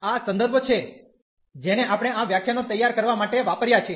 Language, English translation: Gujarati, These are the references we have used to prepare these lectures